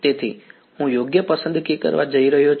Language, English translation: Gujarati, So, I am going to choose right